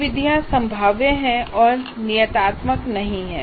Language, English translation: Hindi, So the methods are probabilistic and not deterministic